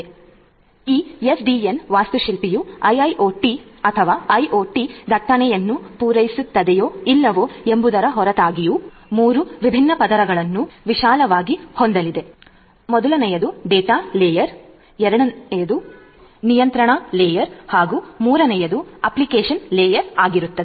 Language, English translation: Kannada, So, this SDN architecture irrespective of whether it caters to the IIoT or IoT traffic or not, is going to have 3 different layers broadly 1 is your data layer, 2nd is the control layer and 3rd is the application layer